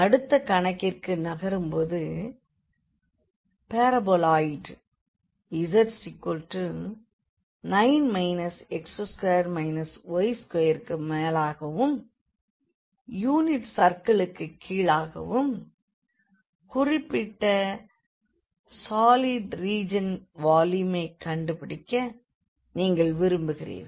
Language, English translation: Tamil, Moving now to the next problem, you want to find the volume of the solid region bounded above by the parabola, paraboloid z is equal to 9 minus x square minus y square and below by the unit circle